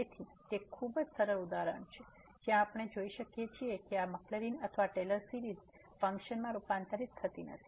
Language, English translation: Gujarati, So, it is very simple example where we can see that these Maclaurin or Taylor series they do not converge to the function